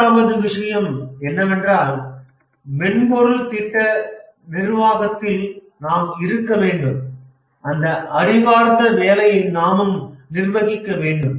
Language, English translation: Tamil, The third thing is that we have to, in software project management, we have to manage intellectual work